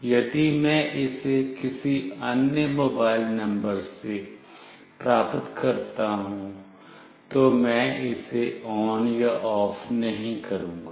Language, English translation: Hindi, If I get it from any other mobile number, I will not make it on or off